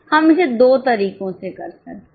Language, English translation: Hindi, We could do it in two ways